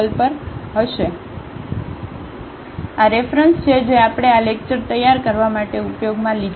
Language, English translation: Gujarati, So, these are the references we have used for preparing these lectures